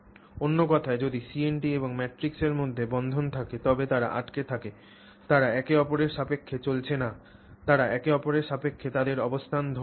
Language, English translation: Bengali, In other words, if there is bonding between the CNT and the matrix, they are staying stuck, they are not moving with respect to each other, they are holding their relative positions with respect to each other